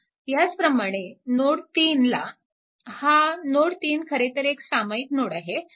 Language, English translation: Marathi, So, this is actually this is node 3 right